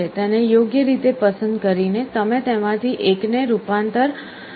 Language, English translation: Gujarati, By appropriately selecting it, you can select one of them for conversion